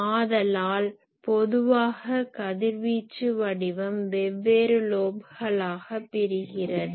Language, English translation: Tamil, So, the radiation pattern is generally broken into various lobes